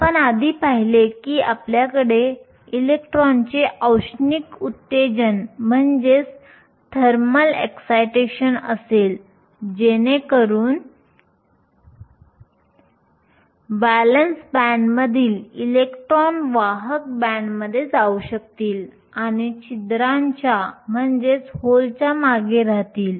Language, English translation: Marathi, We saw earlier you will have thermal excitation of electrons, so that electrons from the valence band can move to the conduction band and living behind holes